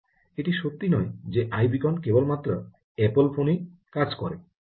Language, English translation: Bengali, it isnt true that i beacon works only on apple phones